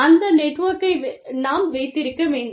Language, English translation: Tamil, We need to have, that network in place